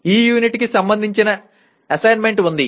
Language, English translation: Telugu, There is the assignment for this unit